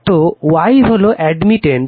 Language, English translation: Bengali, So,Y Y is the admittance right